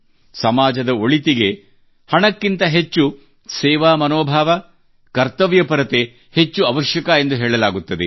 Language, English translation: Kannada, It is said that for the welfare of the society, spirit of service and duty are required more than money